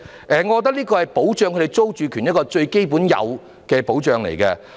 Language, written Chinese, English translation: Cantonese, 我覺得這是對他們的租住權最基本的應有保障。, I consider rental control the most basic and due protection for their security of tenure